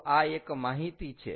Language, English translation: Gujarati, so this is one answer